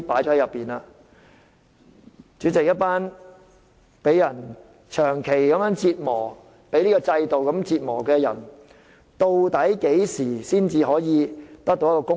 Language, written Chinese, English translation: Cantonese, 主席，一群長期被這制度折磨的人，究竟何時才能得到公道？, President when will justice be served for a group of people who have long been tortured under this system?